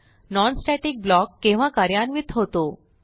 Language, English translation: Marathi, When is a non static block executed